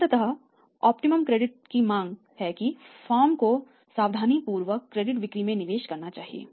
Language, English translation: Hindi, So, it means ultimately optimum credit policy demands that firm should be carefully judiciously investing in the credit sales